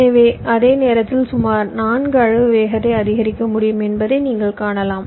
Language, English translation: Tamil, so you can see, in the same time i am able to have a speed up of about four